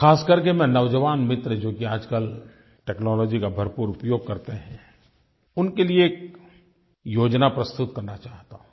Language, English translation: Hindi, I specially want to suggest a scheme to my young friends who are currently technology savvy